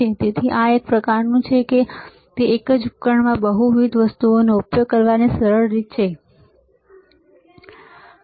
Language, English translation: Gujarati, So, it is kind of it is kind of easy way of utilizing multiple things within the same device, right